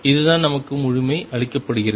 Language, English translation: Tamil, This is what completeness is given us